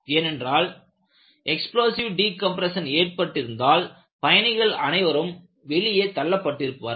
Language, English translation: Tamil, Because once there is an explosive decompression, people will be sucked out